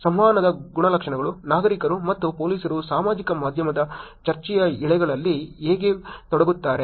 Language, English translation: Kannada, Engagement characteristics; how do the citizens and police engage in social media discussion threads